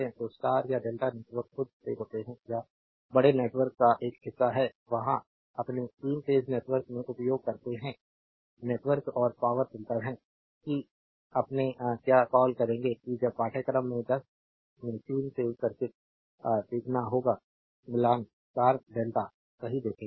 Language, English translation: Hindi, So, star or delta networks occur by themselves or is a part of the larger network, there use in the your 3 phase network, matching networks and electrical filters that will your what you call that when you will learn 3 phase circuit at the 10 of course, we will see the star delta right